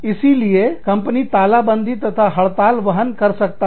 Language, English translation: Hindi, So, the companies can afford, lockdowns and strikes